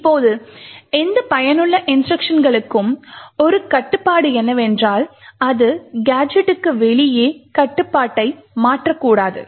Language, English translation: Tamil, Now one restriction for these useful instructions is that it should not transfer control outside the gadget